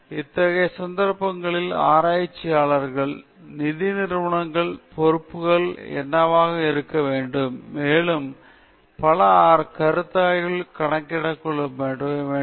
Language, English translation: Tamil, So, in such cases, what should be the responsibility of the researchers, of the funding agencies, and several other considerations have to be taken into account